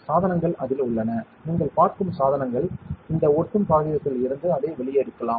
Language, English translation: Tamil, The devices are on it, and the devices you can see you can take it out from this sticky paper sticky material